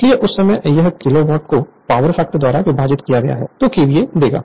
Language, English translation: Hindi, So, at that time, if I because this is Kilowatt divided by power factor will give you KVA right